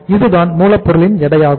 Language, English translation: Tamil, This is the weight of raw material